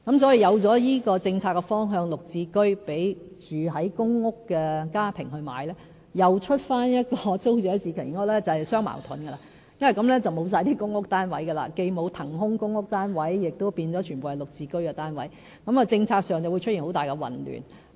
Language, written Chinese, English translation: Cantonese, 所以，有了這個讓公屋家庭購買"綠置居"的政策方向，再推出租者置其屋計劃便是相矛盾，因為這樣便會完全沒有出租公屋單位，既沒有騰空的公屋單位，全部單位亦變成"綠置居"單位，政策上會出現很大混亂。, It will be contradictory if we relaunch TPS after we have set this policy direction of selling GSH units to PRH tenants as there will be no PRH units at all . When there are no PRH units being vacated and all units are converted into GSH units our policy will be extremely confusing